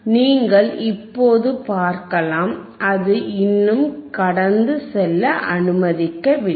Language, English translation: Tamil, You can see now, still it is still not allowing to pass